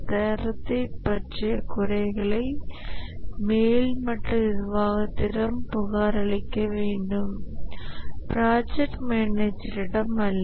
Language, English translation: Tamil, The quality system needs to report to the top management and not to the project manager